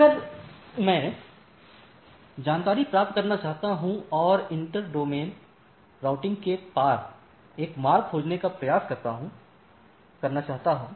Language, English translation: Hindi, If I want to get information and try to find a routing path across of the inter domain routing